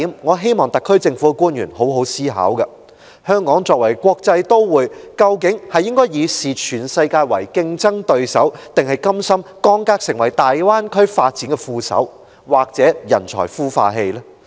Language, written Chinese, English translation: Cantonese, 我希望特區政府的官員好好思考其中一點：香港作為國際都會，究竟應該視全世界為競爭對手，還是甘心降格成為大灣區發展的副手，或"人才孵化器"？, I hope that officials of the SAR Government will seriously consider one point Should Hong Kong as an international metropolis view the entire world as our competitors or is it willing to be downgraded to play a supplementary role or to be the talent incubator in the development of the Greater Bay Area?